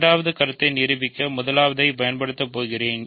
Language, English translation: Tamil, Now, I am going to prove the second proposition